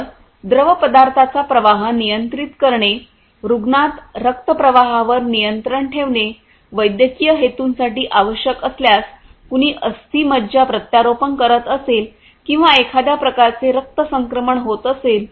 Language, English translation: Marathi, So, control of the fluid flow, control of blood flow into a patient, when required for medical purposes may be somebody having a bone marrow transplant or some kind of you know blood transfusion is taking place